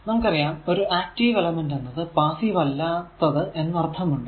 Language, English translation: Malayalam, Of course, an active element is one that is not passive just opposite right